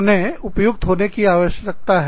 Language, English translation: Hindi, They need to be, appropriate